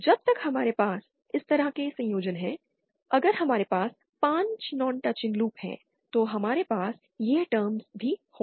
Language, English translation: Hindi, As long as we have any such combinations, if we say have 5 non touching loops, then we will have this term as well